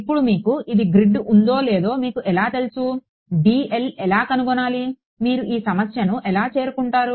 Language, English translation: Telugu, Now how do you know whether you have grid this you know whether how find should be make dl, how would you approach this problem